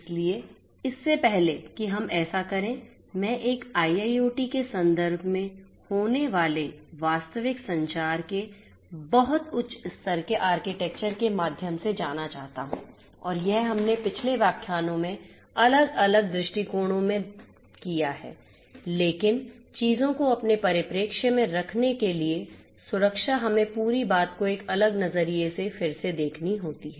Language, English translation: Hindi, So, before we do so I would like to go through a very high level schematic of the actual communication taking place in an IIoT scenario and this we have done in different different perspectives in the previous lectures, but in order to keep things in the perspective of security let us revisit the whole thing from a different angle